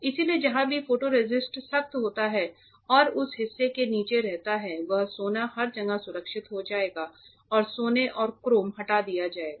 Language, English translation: Hindi, So, wherever the photoresist hardens and remains that part below that gold will get protected everywhere else the gold and chrome gets removed